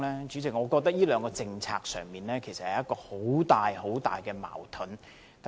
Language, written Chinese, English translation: Cantonese, 主席，我覺得這兩項政策其實自相矛盾。, President I think the Government has introduced contradictory measures in implementing these two policies